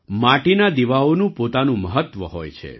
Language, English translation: Gujarati, Earthen lamps have their own significance